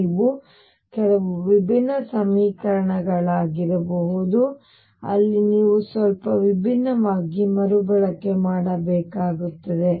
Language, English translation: Kannada, They could be some other equations where you have to rescale slightly differently